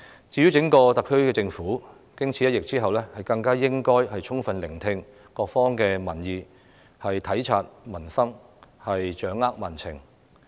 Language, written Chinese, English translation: Cantonese, 整個特區政府經此一役，更應該充分聆聽各方民意，體察民生，掌握民情。, After this incident the SAR Government should all the more fully listen to public opinions be sensitive to the hardship of the people and better grasp public sentiments